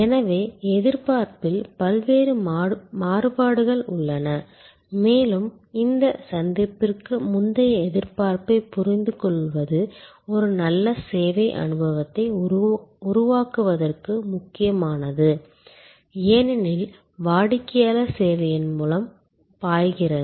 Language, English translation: Tamil, So, there are many different variations in expectation and understanding this pre encounter expectation is crucial for creating a good service experience, as the customer flows through the service